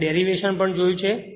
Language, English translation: Gujarati, We have see the derivation also